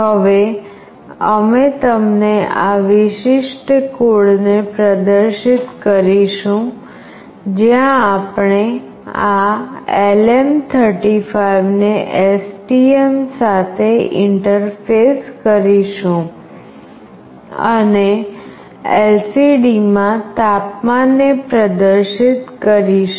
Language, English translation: Gujarati, Now we will be showing you the experiment the demonstration of this particular code, where we will be interfacing this LM35 with STM and will display the temperature in the LCD